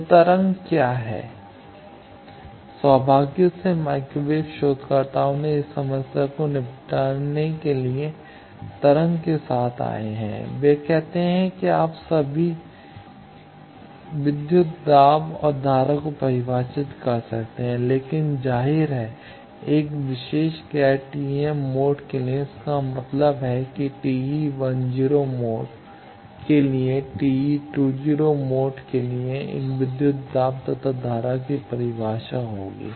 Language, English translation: Hindi, So, what is the wave out fortunately microwave researchers have come up with waves to tackle this problem, they say you can still define voltage and current, but obviously, for a particular non TEM mode that means, for TE 10 mode there will be a voltage current definition for t 20 mode